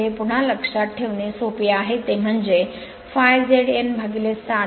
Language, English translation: Marathi, So, this is easy to remember again it is phi Z N by 60 into P by A right